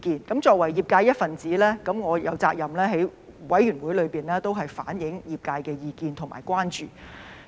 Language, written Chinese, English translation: Cantonese, 我作為業界的一分子，我有責任在法案委員會內反映業界的意見和關注。, As a member of the profession I am obliged to reflect the views and concerns of the profession in the Bills Committee